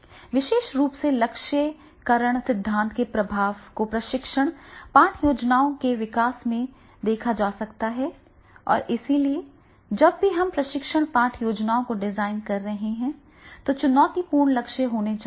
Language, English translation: Hindi, Specifically the influence of goals reading theory can be seen in the development of the training lesson plans and therefore whenever we are designing the training lesson plans there should be the challenging goals and then that should be there